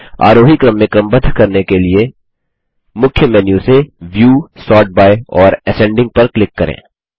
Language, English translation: Hindi, To sort it in the ascending order, from the Main Menu, click on View, Sort by and Ascending